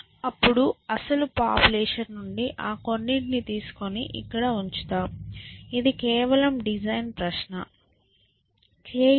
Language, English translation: Telugu, Then, keep those few top from the original population here, we just design question